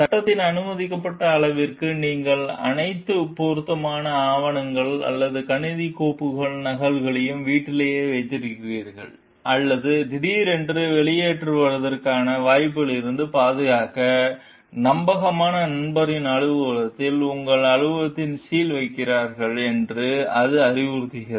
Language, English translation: Tamil, It advises that to the extent permitted by law, you keep copies of all pertinent documents or computer files at home, or in the office of a trusted friend to guard against the possibility of sudden discharge, and sealing off your office